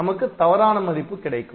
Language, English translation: Tamil, So, we will not get the correct value